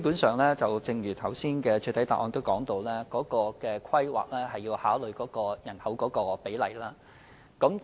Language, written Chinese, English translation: Cantonese, 主席，正如我剛才在主體答覆指出，有關規劃基本上要考慮人口比例。, President as I pointed out in the main reply earlier the size of population is a major consideration in the relevant planning